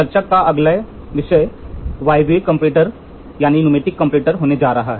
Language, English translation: Hindi, Next topic of discussion is going to be Pneumatic Comparator